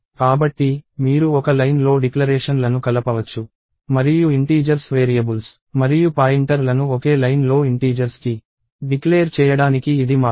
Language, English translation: Telugu, So, you can combine declarations in one line and this is the way to declare both integer variables and pointers to integers in the same line